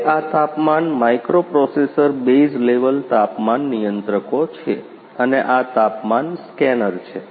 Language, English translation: Gujarati, Now this is this is this is the temperature microprocessor base level temperature controllers, and these and this is a temperature scanner